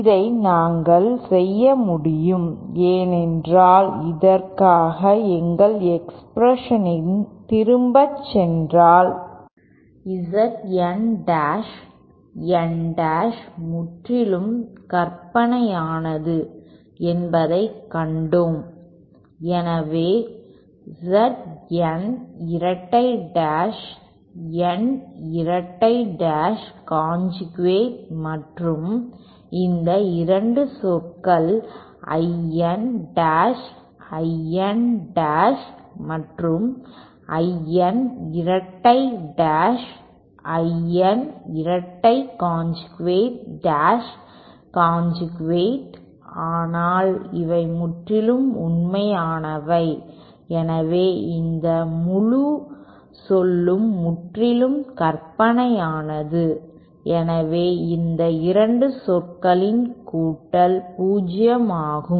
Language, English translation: Tamil, This we could do because if we go back to our expression for thisÉ We saw that Z N dash N dash is purely imaginary so is Z N Double dash N double dash and these 2 terms that I N dash I N dash conjugate and I N double dash I N double dash conjugate these are purely real so then this whole term is purely imaginary hence the real part of these sum of these 2 terms that is this term and this term will be 0